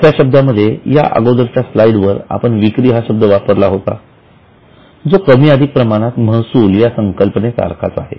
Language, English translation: Marathi, For a simple understanding in the earlier slide I had used the word sales, which is more or less same as revenue